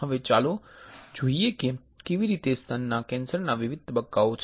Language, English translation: Gujarati, Now, let us see how the breast cancers different stages are there and let me play it